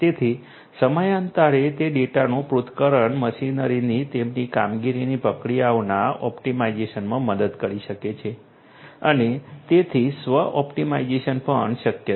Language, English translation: Gujarati, So, the analysis of that data over a period of time can help in the optimization of the processes of the machinery their operations and so on so, self optimization that is also possible